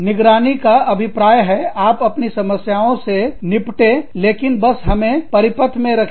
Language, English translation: Hindi, Monitoring means, you deal with your problems, but just keep us in the loop